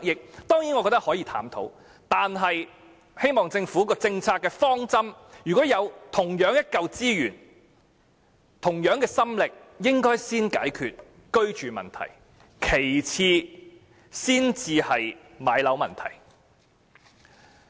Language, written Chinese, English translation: Cantonese, 我覺得這類計劃可以探討，但希望政府的政策方針是，如果有同樣的資源、心力，應該先用於解決居住問題，其次才是置業問題。, While I believe that such schemes can be considered I hope that the Government will adopt a policy or strategy under which the same resources or efforts if available will first be devoted to addressing the problem of accommodation and then home ownership